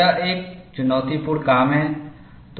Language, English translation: Hindi, It is a challenging task